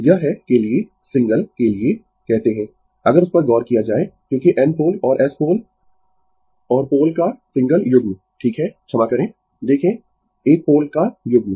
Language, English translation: Hindi, This is for your what you call for your single, if you look into that because N pole and S pole and single pair of poles right sorry, see your one pair of poles